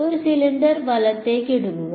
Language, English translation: Malayalam, Take a cylinder right